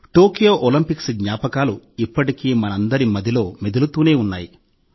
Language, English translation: Telugu, The memories of the Tokyo Olympics are still fresh in our minds